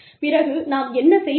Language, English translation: Tamil, Then, what do we do